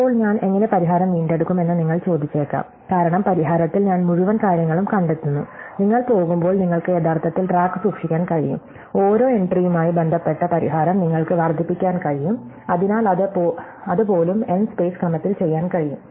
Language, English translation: Malayalam, And now you might ask how do I recover the solution, because in the solution I trace back the path on the whole thing, well you can actually keep track incrementally as you are going, you can build up the solution associated to each entry incrementally, so even that can be done in order n space